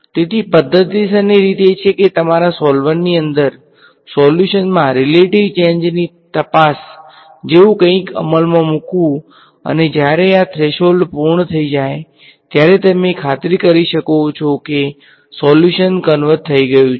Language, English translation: Gujarati, So, the systematic way is to implement inside your solver something like a check on the relative change in solution and stop when this threshold has been met then you can be sure that the solution has converged